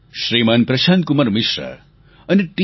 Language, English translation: Gujarati, Shri Prashant Kumar Mishra, Shri T